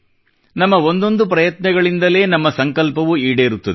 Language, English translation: Kannada, Every single effort of ours leads to the realization of our resolve